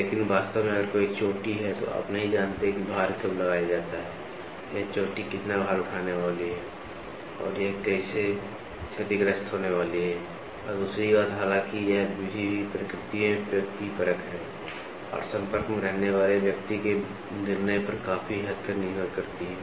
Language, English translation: Hindi, But exactly if there is a peak then, you do not know when the load is applied, what is the load this peak is going to take or how is this going to get damaged and other thing; however, this method is also subjective in nature, and depends on large extent on the judgement of the person which is in touch